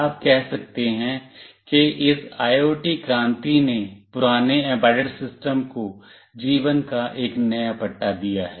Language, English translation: Hindi, And this IoT revolution has given this embedded system a new lease of life